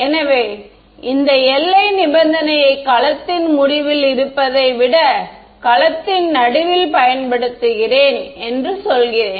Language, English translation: Tamil, So, I say let me just apply this boundary condition in the middle of the cell rather than at the end of the cell